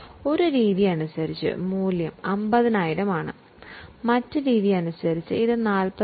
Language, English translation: Malayalam, As per one method, the value 50,000, as per the other method it is 45,000